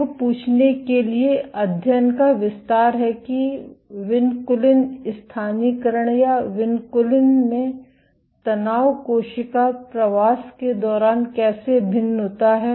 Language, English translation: Hindi, The extend of the study to ask that how does vinculin localization or tension in vinculin vary during cell migration